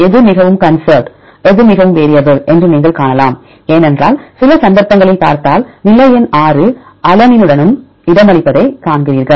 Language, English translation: Tamil, So, which one is highly conserved which one is highly variable right because some cases if you see, the position number 6 here also you see the position is accommodated with the alanine